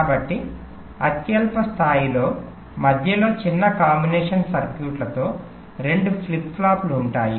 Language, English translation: Telugu, so in the lowest level there will be two flip flop with small combination circuit in between